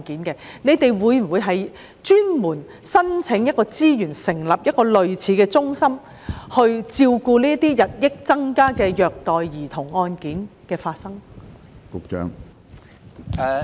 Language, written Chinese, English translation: Cantonese, 當局會否申請資源成立類似的中心，以處理日益增加的虐待兒童案件？, Will the authorities seek resources for the establishment of a centre like this to handle a rising number of child abuse cases?